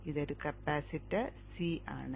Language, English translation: Malayalam, This is a capacitor C